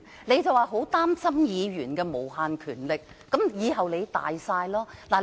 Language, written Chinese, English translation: Cantonese, 你說很擔心議員有無限權力，但日後你才是擁有最大權力的人。, You said you were very concerned that Members have unlimited power but it is you who will have the greatest power in the future